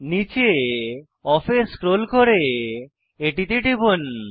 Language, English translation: Bengali, scroll down to Off and click on it